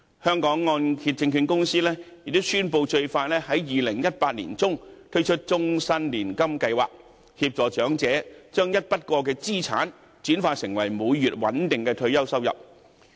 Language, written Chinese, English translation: Cantonese, 香港按揭證券有限公司亦宣布，最快會在2018年年中推出終身年金計劃，協助長者把一筆過資產轉化成為每月穩定的退休收入。, The Hong Kong Mortgage Corporation Limited HKMC has announced that a life annuity scheme would be introduced in mid - 2018 the earliest to help the elderly turn asset lump sums into lifelong streams of fixed monthly income